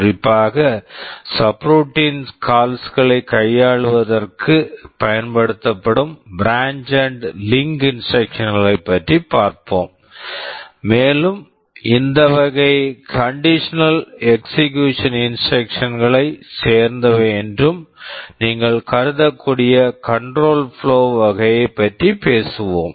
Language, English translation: Tamil, In particular we shall be looking at the branch and link instruction that are primarily used for handling subroutine calls, and we shall talk about the conditional execution instruction that you can also regard to be belonging to this category control flow